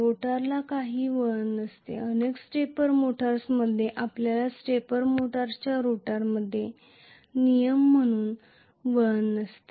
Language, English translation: Marathi, The rotor does not have any winding in many of the stepper motors you will not have a winding as a rule in the rotor of a stepper motor